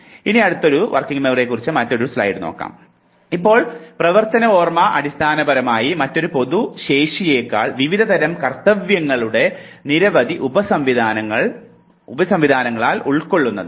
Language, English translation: Malayalam, Now, working memory basically consists of several sub systems of various types of tasks rather than single general capacity